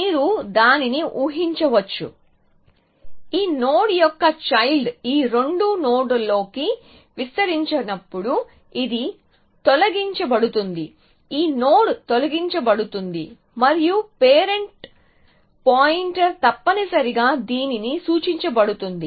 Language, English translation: Telugu, So, you can imagine that when a child when this node is expanded into these 2 nodes then this will be deleted this node will be deleted and the parent pointer would be pointed to this essentially